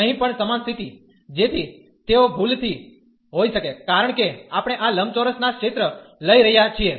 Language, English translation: Gujarati, Here also the same situation, so they could be in error, because we are taking the area of these rectangles